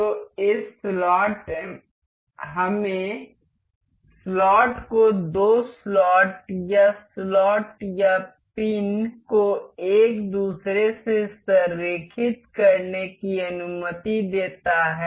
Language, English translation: Hindi, So, this slot allows us to align the slot the two slots or a slot or a pin to one another